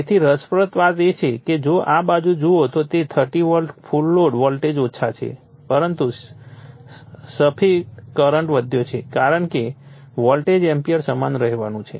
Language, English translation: Gujarati, So, interestingly if you see this side it is your 30 volt right full load voltage has low, but at the same time if current has increased because volt ampere has to remain your same